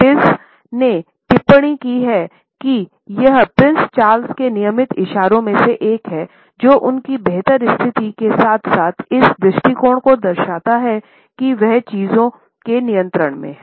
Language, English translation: Hindi, Pease has commented that it is also one of the regular gestures of Prince Charles, which indicates his superior position as well as the attitude that he is in control of things